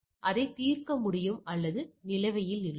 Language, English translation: Tamil, So, either it can be resolved or it is in a pending state